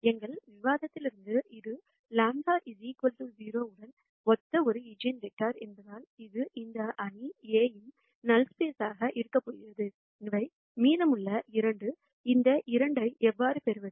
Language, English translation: Tamil, I have noticed from our discussion before; since this is an eigenvector corresponding to lambda equal to 0; so, this is going to be in the null space of this matrix A and these are the remaining 2; how do I get this 2